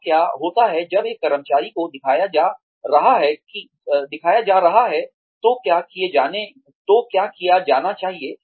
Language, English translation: Hindi, So, what happens is that, when an employee is being shown, what needs to be done